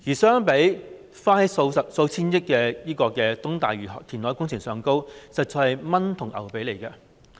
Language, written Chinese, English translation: Cantonese, 相比要花數千億元的東大嶼山填海工程，那數項政策實在是"蚊髀同牛髀"。, When compared with the East Lantau reclamation project which costs hundreds of billions of dollars these policies are peanuts